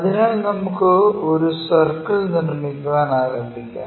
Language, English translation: Malayalam, So, let us begin constructing a circle